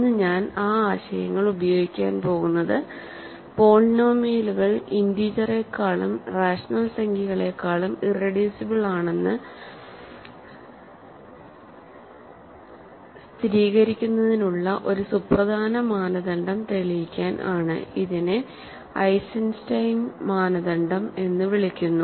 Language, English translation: Malayalam, So, today I am going to use those ideas to prove a very important criterion for verifying that polynomials are irreducible over integers or rationals, and it is called Eisenstein Criterion, ok